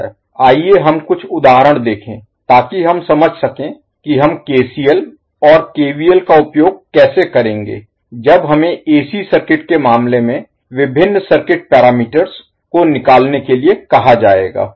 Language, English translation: Hindi, So let's see a few of the examples so that we can understand how we will utilize KCL and KVL when we are asked to find the various circuit parameters in case of AC circuit